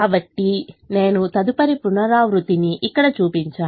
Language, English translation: Telugu, so i have shown the next iteration here